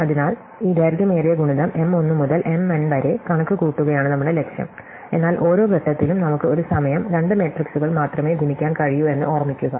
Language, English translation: Malayalam, So, our goal is to compute this long product M 1 to M n, but remember that at every stage we can only multiply two matrices at a time